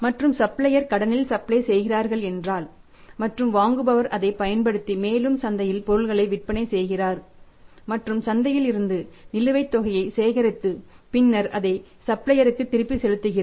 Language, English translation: Tamil, And if the supplier is giving the supplies on credit and buyers using that and further selling the product in the market and then collecting the dues from the market and making a payment back to the supplier